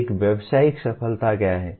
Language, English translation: Hindi, One is professional success